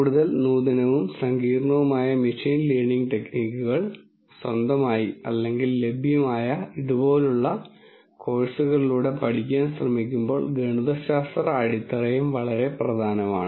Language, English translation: Malayalam, And also the mathematical foundations that are going to be quite important as you try to learn more advanced and complicated machine learning techniques either on your own or through courses such as this that are available